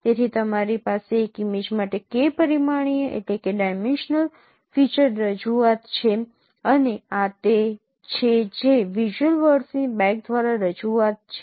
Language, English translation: Gujarati, So you have a K dimensional feature representation for an image and this is what is the representation by bag of visual words